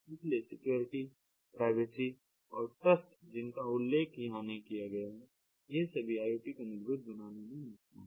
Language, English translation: Hindi, so security and privacy and trust also, which is not mentioned over here, these are very much important ah to power iot technologies